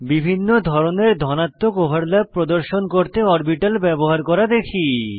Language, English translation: Bengali, Let us see how to use orbitals to show different types of Positive overlaps